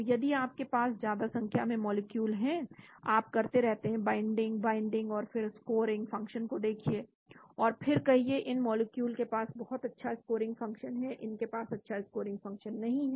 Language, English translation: Hindi, So if you have large number of molecules you keep binding, binding, and then look at the scoring function, and then say these molecules have very good scoring functions, these do not have good scoring function